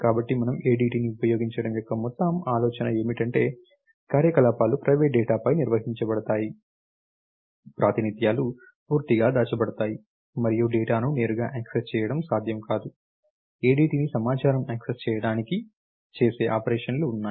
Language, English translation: Telugu, So, what we do is the whole idea of the using ADT is that the operations are defined on the private data, the representations completely hidden, and the data cannot be access directly, there are operation that can be performed on the ADT to access the data